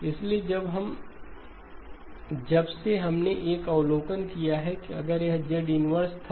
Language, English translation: Hindi, So just since we also made an observation that if it was Z power minus 1